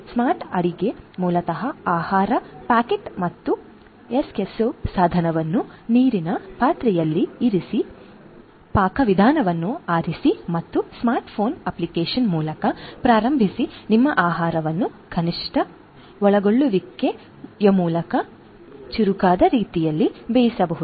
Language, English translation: Kannada, Smart cooking basically helps by placing the food packet and Eskesso device in a pot of water, selecting the recipe and starting via smart phone app you can get your food cooked in a smarter way through minimal involvement